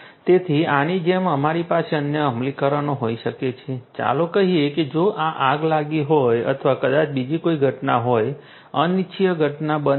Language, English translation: Gujarati, So, like this you could have different other implementations, let us say that if there is a fire if there is a fire or maybe if there is some other event you know undesirable event that has happened